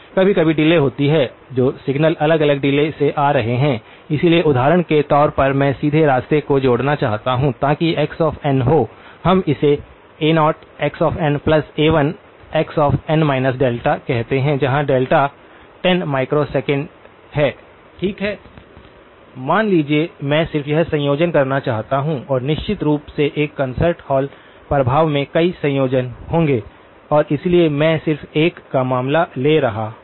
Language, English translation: Hindi, Sometimes there are delay; the signals that are coming at different delays, so as an example supposing I want to combine direct path okay, so that would be x of n, let us call that as a0, some scale factor plus a1 times x of n minus delta, where delta is 10 microseconds, okay, suppose, I just want to combine this and of course, in a concert hall effect there will be several combinations and so I am just taking the case of 1